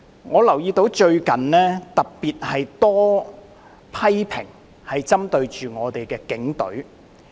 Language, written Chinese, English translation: Cantonese, 我留意到最近有特別多針對警隊的批評。, I noticed that criticisms against the Police have been particularly rife recently